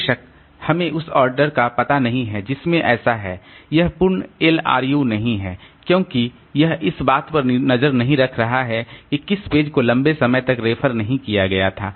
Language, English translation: Hindi, Of course we do not know the order in which so it is not the full LRU because it is not keeping track of which page was not referred to for a long time